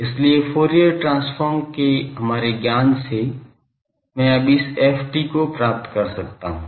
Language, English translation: Hindi, So, from our knowledge of Fourier transform, I can now find ft